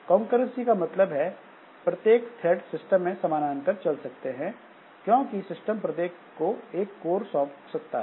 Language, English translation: Hindi, So, concurrency means that some threads can run in parallel because the system can assign a separate thread to each core